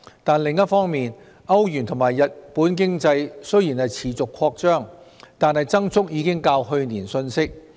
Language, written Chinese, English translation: Cantonese, 但是，另一方面，歐羅區和日本經濟雖然持續擴張，但增速已較去年遜色。, Meanwhile despite the continuous expansion of the economies in the Euro area and Japan the growth rate was slower than that of last year